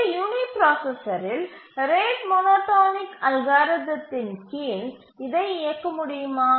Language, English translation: Tamil, Can this run on a uniprocessor under the rate monotonic algorithm